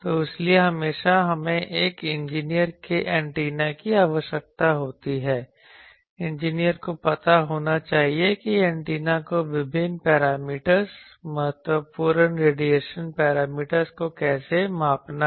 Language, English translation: Hindi, So, that is why always we need also an engineer’s antenna, engineer should know that how to measure antennas various parameters important radiation parameters